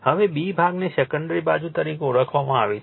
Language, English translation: Gujarati, Now, B part is referred to the secondary side